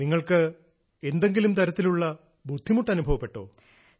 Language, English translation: Malayalam, Did you also have to face hurdles of any kind